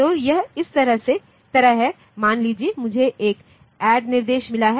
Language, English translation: Hindi, So, it is like this suppose I have got an add instruction